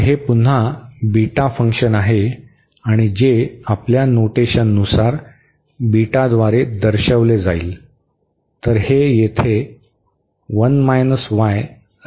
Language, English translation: Marathi, So, this is the again the beta function and which as per our notation this will be denoted by beta